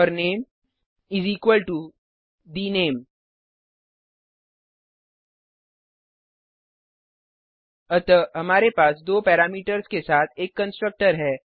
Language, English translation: Hindi, And name is equal to the name So we have a constructor with two parameters